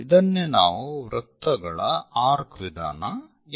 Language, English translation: Kannada, This is by arcs of circle method